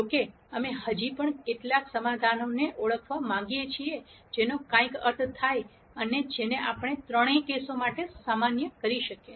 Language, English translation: Gujarati, However we still want to identify some solution which makes sense and which we can generalize for all the three cases